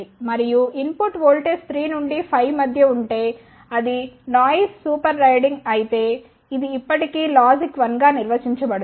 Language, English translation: Telugu, And if the input voltage is between 3 to 5 and the noise may be super riding on that it will still be defined as logic 1